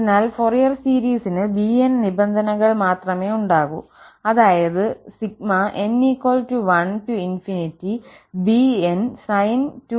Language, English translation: Malayalam, So, the Fourier series will be having only bn terms, so bn sin 2nx